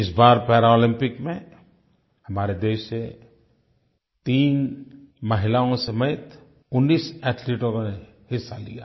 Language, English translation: Hindi, This time 19 athletes, including three women, took part in Paralympics from our country